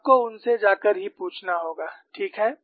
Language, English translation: Hindi, You have to go and ask them only